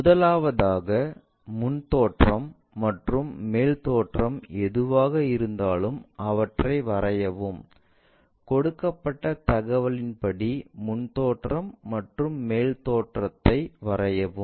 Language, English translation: Tamil, First of all, whatever the front view and top view is given draw them, draw front view and top view as per the given information